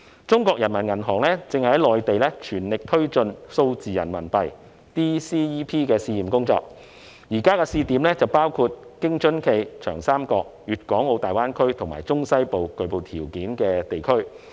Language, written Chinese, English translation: Cantonese, 中國人民銀行正在內地全力推進數字人民幣的試驗工作，現在的試點包括京津冀、長三角、大灣區及中西部具備條件的地區。, PBoC is making strenuous effort to take forward the pilot work of digital RMB ie . Digital Currency Electronic Payment DCEP in the Mainland . Currently the trial sites include the Beijing - Tianjin - Hebei region the Yangtze River Delta region GBA and the central and western regions where the right conditions exist